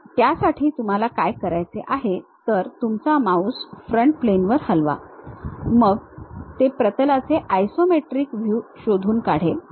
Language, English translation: Marathi, So, for that what we have to do you, move your mouse onto Front Plane, then it detects something like a Isometric view of a plane